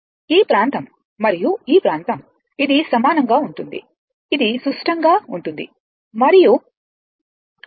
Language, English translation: Telugu, This area and this area, it is same it is symmetrical and this is pi this is 2 pi